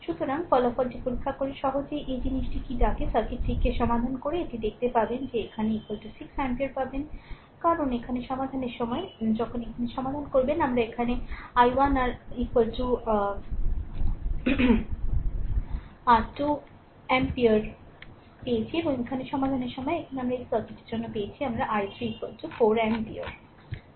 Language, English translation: Bengali, So, checking the result you can easily find out your this thing what you call, you solve the circuit right and see that i here you will get i is equal to 6 ampere, because when solving here while solving here look here we got i 1 is equal to your 2 ampere right and while solving here, here we got for this circuit we got i 3 is equal to 4 ampere right